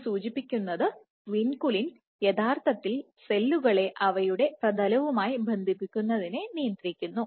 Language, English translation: Malayalam, So, suggesting that vinculin actually regulates the adhesiveness of cells to their substrate